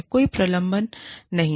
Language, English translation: Hindi, There is no suspension